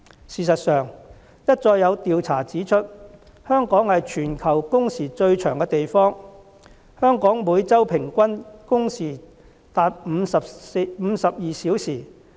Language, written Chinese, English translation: Cantonese, 事實上，一再有調查指出，香港是全球工時最長的地方，香港每周平均工時達52小時。, In fact surveys after surveys have found that Hong Kong is the place with the longest hours in the world with an average of 52 working hours per week